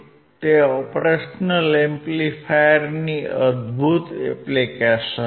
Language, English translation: Gujarati, It is an amazing application of an operational amplifier